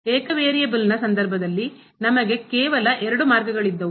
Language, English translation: Kannada, While in the case of single variable, we had only two paths